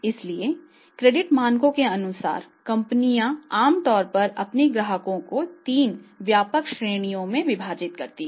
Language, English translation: Hindi, So, as per the credit standards what the company's do they normally divide their customers into three broad categories